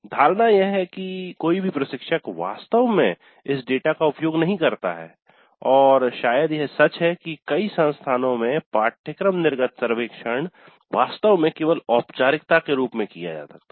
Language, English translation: Hindi, The perception is that no instructor really uses this data and probably it is true in many institutes that the course exit survey is actually administered as a mere formality